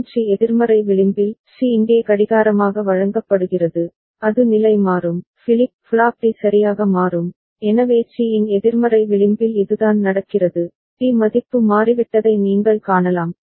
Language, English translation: Tamil, And at the negative edge of C; C is fed as clock here, it will toggle, flip flop D will toggle ok, so that is what is happening at the negative edge of C, you can see that D has changed value